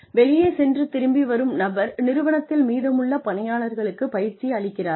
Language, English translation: Tamil, Who goes out, and then comes back, and trains the rest of the organization